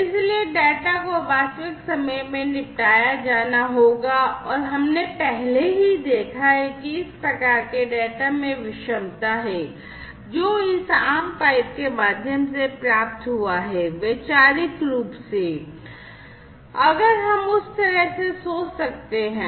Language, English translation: Hindi, So, the data will have to be dealt with in real time and we have already seen that there is heterogeneity in the type of data that is received through this common pipe, conceptually, if we can think of that way